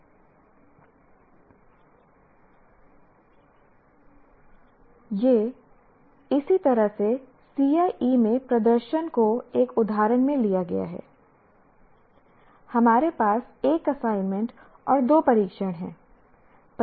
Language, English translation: Hindi, So here this is how the performance of the in CIE is taken in one example as we have one assignment and two tests